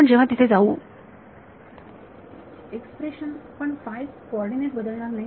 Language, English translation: Marathi, Expression, but the phi coordinates will not change